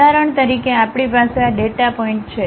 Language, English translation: Gujarati, For example, we have these data points